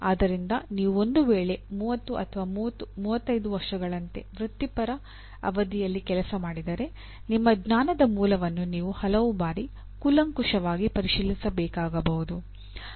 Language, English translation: Kannada, So for you to work in one’s own let us say professional period, career period like 30 35 years, you may have to overhaul your knowledge base many times